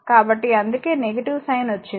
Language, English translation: Telugu, So, that is why the negative sign has come